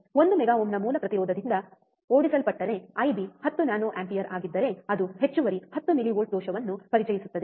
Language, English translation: Kannada, Driven from a source impedance of one mega ohm, if I B is 10 nanoampere, it will introduce an additional 10 millivolts of error